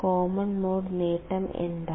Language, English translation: Malayalam, And what is the common mode gain